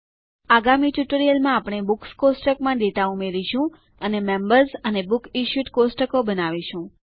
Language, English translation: Gujarati, In the next tutorial, we will add data to the Books table and create the Members and BooksIssued tables